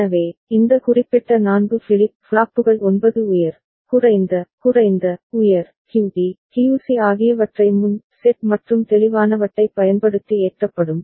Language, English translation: Tamil, So, these particular 4 flip flops will be loaded with 9 high, low, low, high, QD, QC using pre set and clear